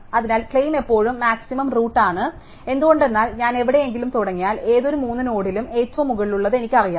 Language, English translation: Malayalam, So, the claim is that the maximums always at the root, why is that because if I start anywhere I know that among the any 3 nodes the maximum is that the top